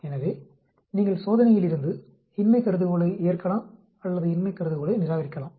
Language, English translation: Tamil, So you can from the test, accept the null hypothesis or reject the null hypothesis